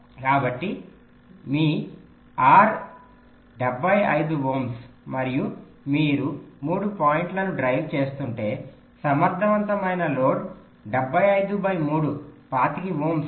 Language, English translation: Telugu, so so if your r is seventy five ohm and you are driving three points, then an effective load will be seventy five divided by three, twenty five ohm